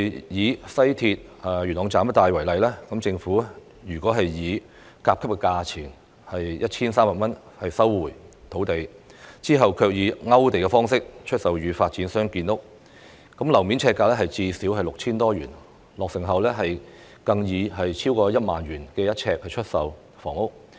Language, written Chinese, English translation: Cantonese, 以西鐵元朗站一帶為例，如果政府以甲級價錢收地，其後卻以"勾地"方式出售予發展商建屋，樓面呎價最少 6,000 多元，落成後更可以每平方呎逾 10,000 元出售房屋。, Take the area around the Yuen Long Station on the West Rail line as an example . If a land lot is resumed by the Government with Zone A compensation ie . 1,300 and is subsequently sold to developers for housing construction under the land application list system the per - square - foot price will be no less than 6,000 and the selling prices of the housing units upon completion can exceed 10,000 per sq ft